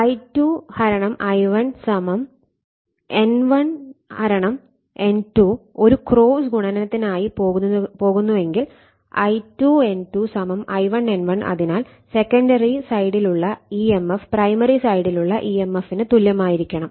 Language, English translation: Malayalam, Suppose, if it is I2 / I1 = your N1 / N2 go for a cross multiplication therefore, I2 N2 = your I1 N1 right therefore, emf on the secondary side must be equal to the emf on the primary side right